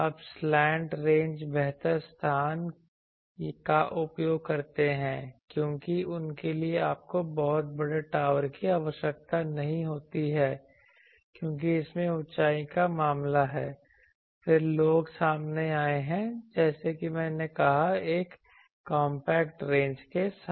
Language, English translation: Hindi, Now, slant ranges are better utilize the space because for them you do not require a very large tower as the case of elevation in this etc, then people have come up as I said with a compact range